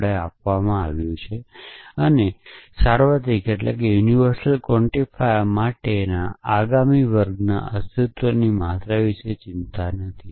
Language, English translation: Gujarati, We are not worry about the existential quantify in the next class for a universal quantifier